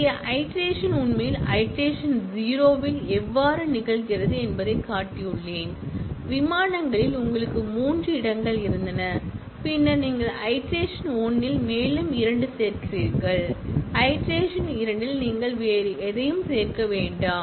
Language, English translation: Tamil, Here, I have shown that how the iteration actually happens in the iteration 0, in the flights itself, you had three destinations, then you add two more in iteration 1, in iteration 2, you do not add anything else